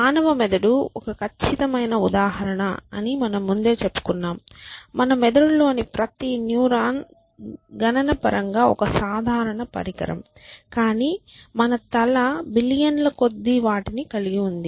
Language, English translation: Telugu, And as we might have said before the human brain is a perfect example of that every neuron in our brain is computationally a simple device, but it just that we have billions of them in our head